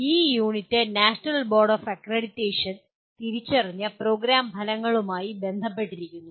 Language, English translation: Malayalam, This unit is related to the Program Outcomes as identified by National Board of Accreditation